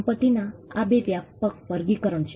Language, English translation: Gujarati, These are two broad classifications of property